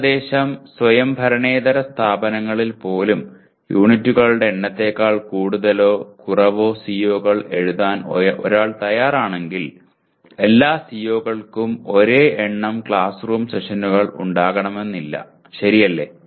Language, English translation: Malayalam, So roughly even in non autonomous institutions if one is willing to write more or less number of COs than the number of units, the CO, all COs need not have the same number of classroom sessions, okay